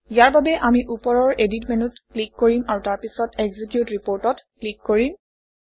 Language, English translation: Assamese, For this, we will click on the Edit menu at the top and then click on the Execute Report